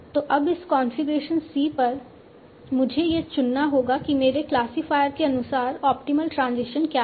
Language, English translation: Hindi, So now at this configuration C, I have to choose what is the optimal transition as per my classifier and I have to choose the optimal transition as per my oracle